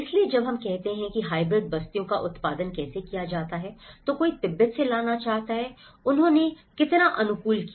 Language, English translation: Hindi, So, when we say how hybrid settlements are produced, one is wanted to bring from Tibet and how much did they adapt